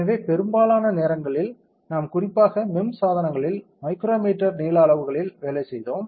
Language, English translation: Tamil, So, most of the times we especially in MEMS devices we worked in micrometer length scales